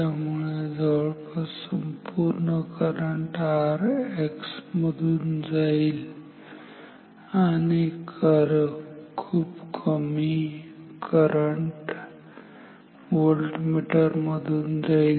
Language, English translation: Marathi, So, almost the entire current goes through R X very little amount of current goes through voltmeter